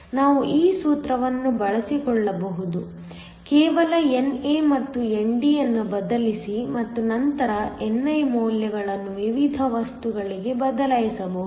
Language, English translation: Kannada, We can make use of this formula, just substitute NA and ND and then the values of ni for the different materials